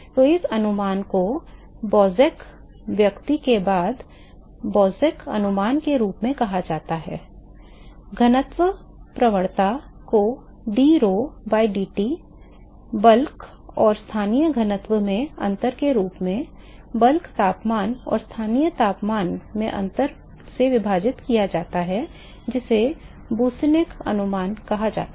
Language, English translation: Hindi, So, this approximation is what is called as Boussinesq approximation, after the person Boussinesq, approximating the gradient the density drho by dT as simply the differences in the bulk and the local density divided by the difference in the bulk temperature and the local temperature that is what is called boussinesq approximation yes S